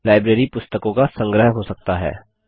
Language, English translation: Hindi, A library can be a collection of Books